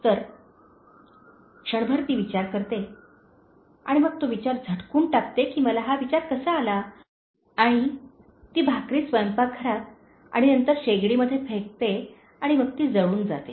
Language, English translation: Marathi, So, for a moment she thinks and then she throws that thinking that how did I get this thought and she throws that in the kitchen and then in the burner and then it gets burnt